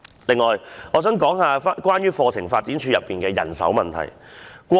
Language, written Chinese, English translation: Cantonese, 此外，我想討論有關課程發展處的人手問題。, Besides I would like to discuss the manpower issues of CDI